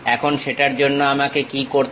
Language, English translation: Bengali, Now, for that what I have to do